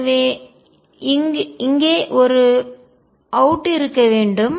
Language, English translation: Tamil, I should have an a out here